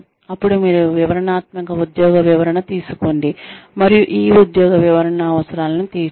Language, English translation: Telugu, Using, then you take detailed job description, and try and cater to the needs, of these job descriptions